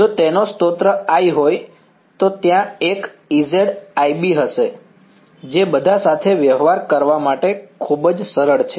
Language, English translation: Gujarati, If it has a source I there will be an E z i B that is all very simple to deal with ok